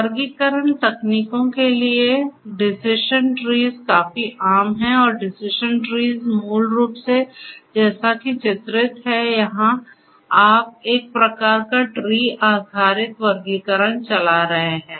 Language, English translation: Hindi, For classification techniques such as decision trees are quite common and decision trees basically you are you know as this figure suggests over here you are running some kind of a tree based classification